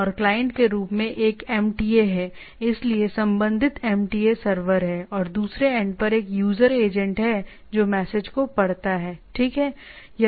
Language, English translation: Hindi, And there is a as MTA is the client, so corresponding MTA server is there, and there is a user agent at the other end which reads the message, right